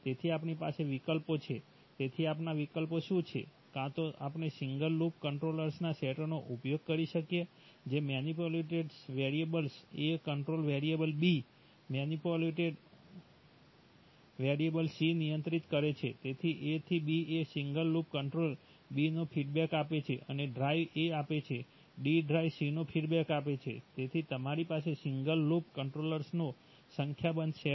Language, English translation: Gujarati, So we have options, so what are our options that either we could use a set of single loop controllers, that is manipulated variable A controls variable B, manipulated variable C controls variable D, so A to B one single loop controller, give feedback of B and drive A, give feedback of D drive C, so you have a number of set of single loop controllers